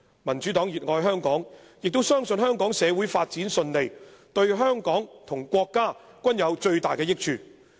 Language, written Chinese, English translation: Cantonese, "民主黨熱愛香港，也相信香港社會發展順利對香港和國家均有最大益處。, The Democratic Party loves Hong Kong dearly . It believes that the smooth development of Hong Kong society will greatly benefit both Hong Kong and the country